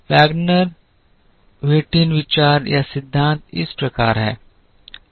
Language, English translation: Hindi, The Wagner Whitin idea or principle is as follows